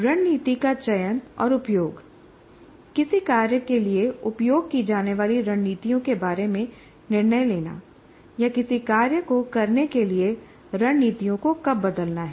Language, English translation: Hindi, So planning activities, then strategy selection and use, making decisions about strategies to use for a task or when to change strategies for performing a task